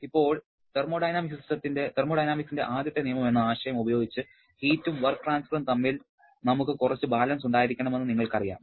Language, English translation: Malayalam, Now, using our concept of first law of thermodynamics, you know that we must have some balance between the heat and work transfer